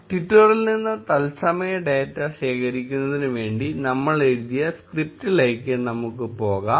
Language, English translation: Malayalam, Let us go back to the script we wrote for collecting real time data from twitter